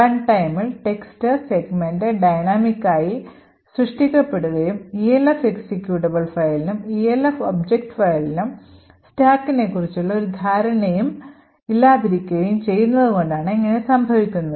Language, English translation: Malayalam, So this is because the text segment is created dynamically at runtime and the Elf executable and the Elf object files do not have any notion about stack